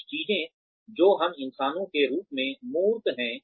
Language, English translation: Hindi, Some things that, we as humans, do are tangible